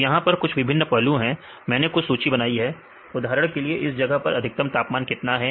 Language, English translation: Hindi, So, there are some of the various aspects; I listed some of them and for example, what is a maximum temperature at that place